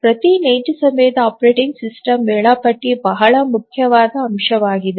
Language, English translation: Kannada, So, every real time operating system, the scheduler is a very important component